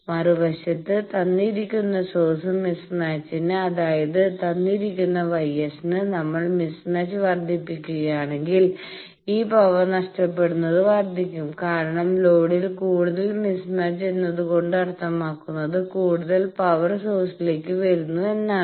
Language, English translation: Malayalam, On the other hand for a given source mismatch; that means, given gamma S this power lost is increased, if we increase the mismatch because more mismatch in the load means more power is coming to the source